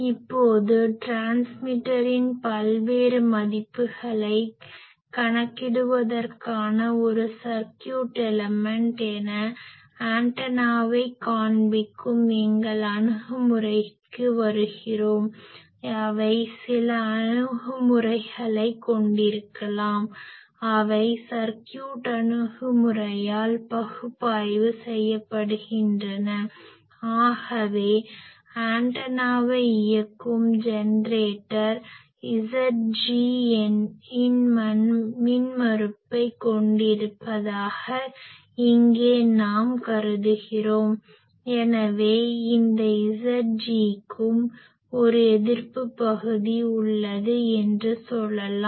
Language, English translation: Tamil, Now, coming back to our approach of visualising antenna as a circuit element for calculating various values of transmitter, which may have some blocks which are analyzed by circuit approach; so, here we are assuming that the generator that is having a driving the antenna, that has an impedance of Z g so, this Z g also, we can say that these Z g is also having a resistive part